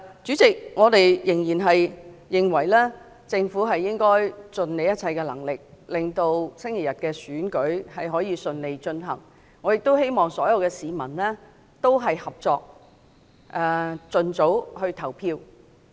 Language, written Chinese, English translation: Cantonese, 主席，我們仍認為政府應盡一切能力，令本周日的選舉可以順利進行，我亦希望所有市民合作，盡早投票。, President we still think that the Government should spare no efforts in enabling the smooth conduct of the Election this Sunday . I also hope that all members of the public will cooperate and vote as early as possible